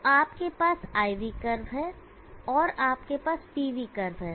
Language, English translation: Hindi, So you have the IV curve and you have the PV curve